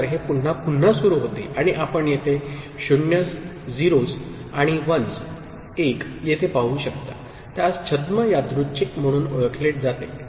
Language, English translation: Marathi, it again it starts repeating and the numbers you can see you here these 0s and 1s, it is what is known as pseudo random, ok